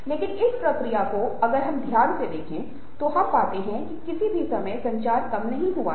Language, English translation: Hindi, but in the process, if we look carefully, we find that at no point of time has communication come down or diminished